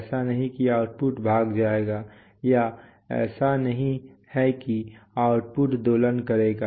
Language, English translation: Hindi, It is not that the output will run away or it is not that the output will oscillate